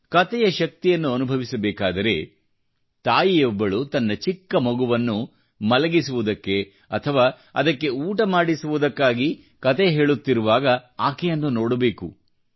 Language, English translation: Kannada, If the power of stories is to be felt, one has to just watch a mother telling a story to her little one either to lull her to sleep or while feeding her a morsel